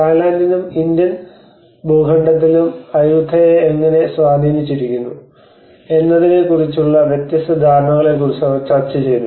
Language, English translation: Malayalam, Where they discussed about different understandings of the how Ayutthaya has been positioned both in Thailand and as well as in the Indian continent